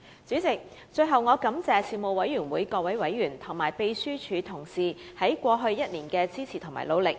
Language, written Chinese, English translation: Cantonese, 主席，最後，我感謝事務委員會各委員及秘書處職員在過去1年的支持和努力。, Lastly President I would like to express my gratitude to members of the Panel and Secretariat staff for their support and efforts made in the past year